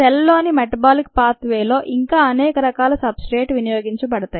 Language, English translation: Telugu, there are many other substrates that can get utilized through other such metabolic pathways in the cell